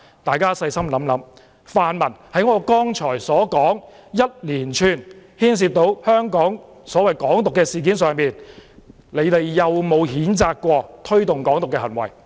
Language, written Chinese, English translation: Cantonese, 大家細心想想，在我剛才所說一連串牽涉"港獨"的事件上，泛民有否譴責推動"港獨"的行為？, Members please think carefully . In the series of cases I mentioned just now involving Hong Kong independence have the pan - democrats condemned actions that promote Hong Kong independence?